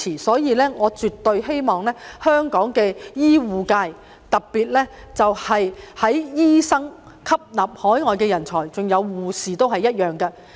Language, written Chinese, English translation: Cantonese, 所以，我絕對希望香港的醫護界能吸納海外人才，特別是醫生，護士亦然。, Therefore I definitely hope that the healthcare sector in Hong Kong can absorb overseas talents especially doctors and nurses